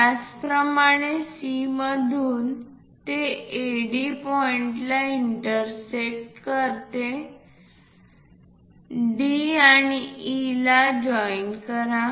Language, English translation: Marathi, Similarly, from C it is going to intersect AD point join D and E; join 6 and D